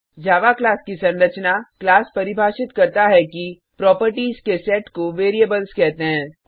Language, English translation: Hindi, Structure of a Java Class A class defines: A set of properties called variables And A set of behaviors called methods